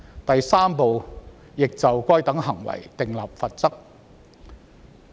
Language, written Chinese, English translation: Cantonese, 第3部亦就該等行為訂立罰則。, It also provides for penalties for such behaviours